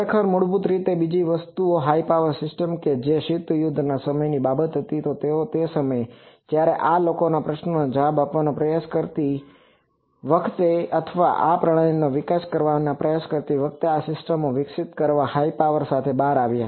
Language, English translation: Gujarati, Actually basically the second thing high power systems that was a cold war time thing so that time while trying to answer these questions or trying to develop these systems people came out with the high power developed these systems